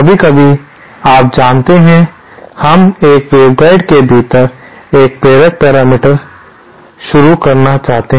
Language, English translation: Hindi, Sometimes, you know, we want to introduce an inductive parameter within a waveguide